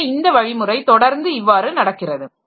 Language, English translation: Tamil, So, this procedure is continually going on